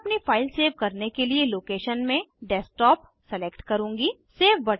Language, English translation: Hindi, I will select Desktop as the location to save my file